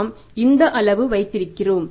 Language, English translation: Tamil, So, we have this information